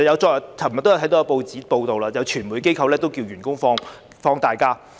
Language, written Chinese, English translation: Cantonese, 昨天也看到報章報道，有傳媒機構要求員工放取年假。, As we can see from the press reports yesterday a media corporation had asked its employees to take annual leave